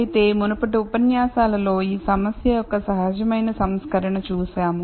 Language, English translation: Telugu, However, in the previous lectures we saw the unconstrained version of this problem